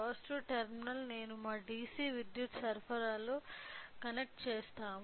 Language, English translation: Telugu, So, the positive terminal I will connect it to connect it to our DC power supply